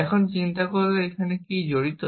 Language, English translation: Bengali, Now, if you think about what is involved here